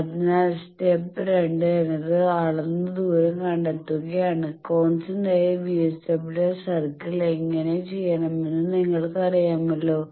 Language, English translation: Malayalam, So, to the step two measure and find the distance, draw a circle of radius d which centers you know how to do the constant VSWR circle